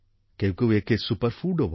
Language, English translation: Bengali, Many people even call it a Superfood